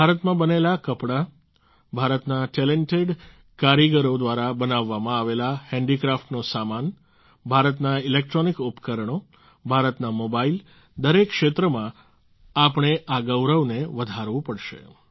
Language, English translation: Gujarati, Textiles made in India, handicraft goods made by talented artisans of India, electronic appliances of India, mobiles of India, in every field we have to raise this pride